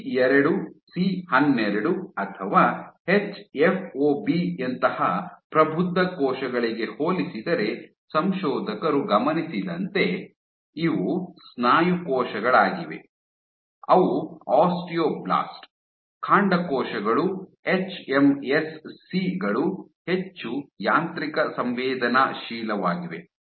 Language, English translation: Kannada, What the authors also observed was in comparison to mature cells like C2C12 or hFOB, so these are muscle cells these are osteoblast, stem cells hMSCs are much more mechano sensitive